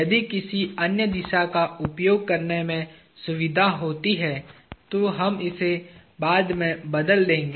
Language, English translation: Hindi, If there is a convenience in using some other direction, we will change it later